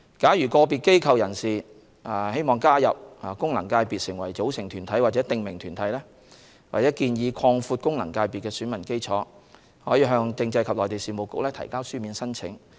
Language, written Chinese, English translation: Cantonese, 假如個別機構/人士欲加入功能界別成為組成團體或訂名團體，或建議擴闊功能界別的選民基礎，可向政制及內地事務局提交書面申請。, Individual bodiespersons who wish to join an FC as umbrella organizations or specified bodies or make suggestions on expanding the electorate of FCs may do so in writing to the Constitutional and Mainland Affairs Bureau